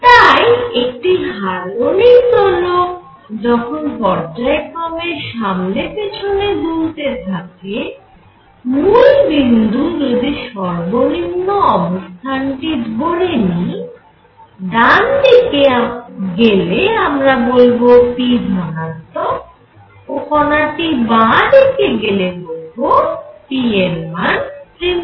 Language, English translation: Bengali, So, in a harmonic oscillator when the particle is going back and forth, and let us say that I take the origin to be at the minimum, when the particle is going to the right p is positive and when the particle is going to the left p is negative